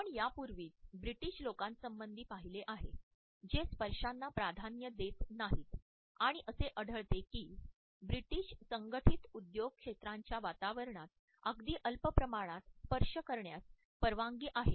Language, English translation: Marathi, We have already looked at the situation of the British people who do not prefer touch and we find that in the British corporate setting very small amount of touch is permissible